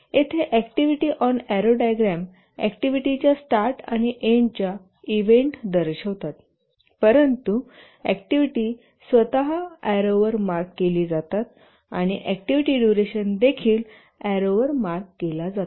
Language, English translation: Marathi, The activity on arrow diagram here the nodes indicate the start and end events of activities, but the activities themselves are marked on the arrows and also the duration of the activities are marked on the arrows